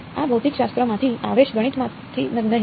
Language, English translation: Gujarati, This will come from physics not math